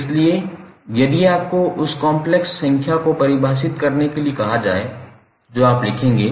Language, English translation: Hindi, So, if you are asked to define the complex number, what you will write